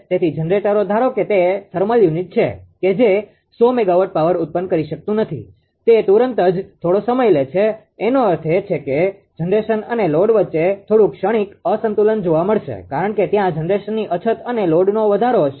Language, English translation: Gujarati, So, generators whether it is a ah suppose, if it is a thermal unit; that it cannot generate power 100 megawatt, instantaneously, it takes some time; that means, there is some transient imbalance will occur between generation and load because there will be shortage of generation and load an increase